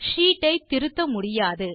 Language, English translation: Tamil, The sheet cannot be modified